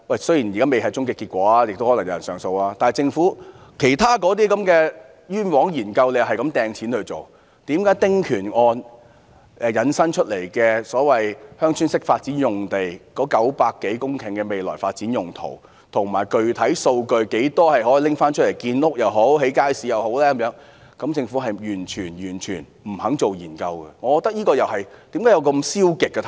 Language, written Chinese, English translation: Cantonese, 雖然現在未有終極結果，亦可能有人上訴，但政府不斷花錢在其他範疇進行"冤枉"的研究，為何對於由"丁權"案引申出來的900多公頃所謂鄉村式發展用地的未來發展用途，以及具體數據，有多少土地可撥出用作建屋或興建街市，政府完全不肯進行研究，為何政府會採取這種消極態度？, Although the verdict has not been given and people may lodge an appeal against it the Government has been wasting money on conducting unnecessary studies . On the other hand why is the Government unwilling to conduct research on the future development purpose of the 900 - plus hectares of the so - called Village Type Development sites which will be derived from the case about small house concessionary rights as well as the specific data concerned? . How many sites can be allocated for construction of housing and markets?